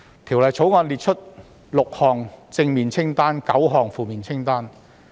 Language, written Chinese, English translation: Cantonese, 《條例草案》列出6項正面清單及9項負面清單。, The Bill sets out six positive list acts and nine negative list acts